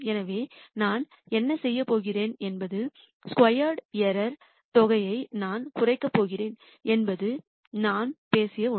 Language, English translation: Tamil, So, what I am going to do is I am going to minimize a sum of squared error is something that we talked about